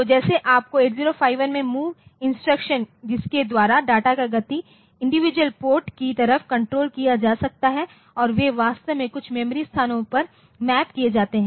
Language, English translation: Hindi, So, just like you can have to this move instruction in 8051 by which we can control the data movement to individual ports and they are actually mapped onto some memory locations